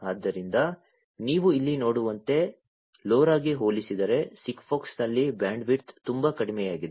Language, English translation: Kannada, So, as you can see over here the bandwidth in SIGFOX is much less compared to LoRa